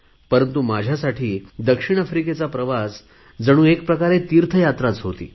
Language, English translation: Marathi, But for me the visit to South Africa was more like a pilgrimage